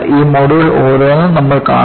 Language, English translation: Malayalam, We would see each one of these modes